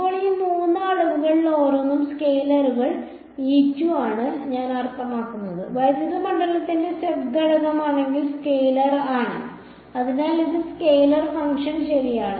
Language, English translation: Malayalam, Now, each of these three quantities I mean they are scalars right E z is the scalar if the z component of the electric field, so this is the scalar function right